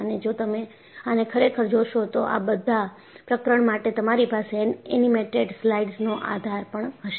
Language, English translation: Gujarati, And, if you really look at, for all of these chapters, you will have support of animated slides